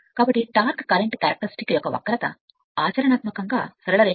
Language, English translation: Telugu, So, therefore, there is the curve of torque current character is practically a straight line